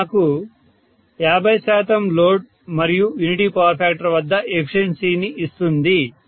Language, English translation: Telugu, So this will give me efficiency at 50 percent load unity power factor